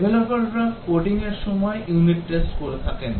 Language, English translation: Bengali, During coding unit testing is done by the Developers